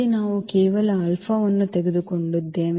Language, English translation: Kannada, So, that is here we have taken just alpha 1